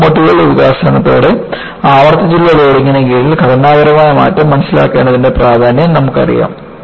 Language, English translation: Malayalam, And, you know, with the development of locomotives, the importance of understanding structural behavior, under repeated loading, assumed importance